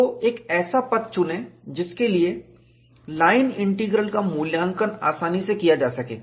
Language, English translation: Hindi, So, choose a path, for which the line integral can be evaluated conveniently